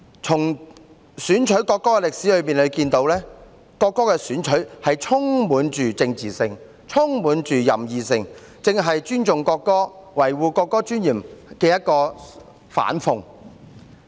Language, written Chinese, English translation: Cantonese, 由選取國歌的歷史可見，國歌的選取充滿政治性、任意性，正是尊重國歌和維護國歌尊嚴的反諷。, As we can see from the history of selecting the national anthem the selection of the national anthem had been highly political and arbitrary serving exactly as an irony of respecting the national anthem and preserving the dignity of the national anthem